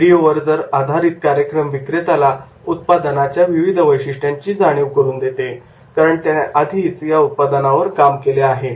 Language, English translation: Marathi, The video based programs teaches salespersonperson to emphasize each product's features because he has worked on that